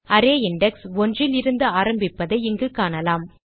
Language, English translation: Tamil, We can see here the array index starts from one